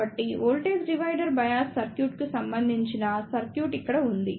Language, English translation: Telugu, So, here is the circuit corresponding to voltage divider bias circuit